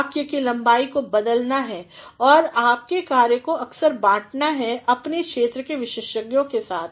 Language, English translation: Hindi, So, sentence length has to be varied and your work from time to time have to be shared with experts in your field